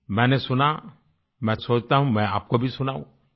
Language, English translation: Hindi, I heard it and I think, I will share it with you too